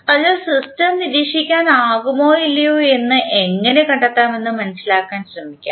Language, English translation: Malayalam, So, let us try to understand how to find out whether the system is observable or not